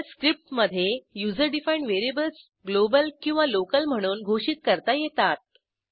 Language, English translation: Marathi, * In Shell script, user defined variables can be declared globally or locally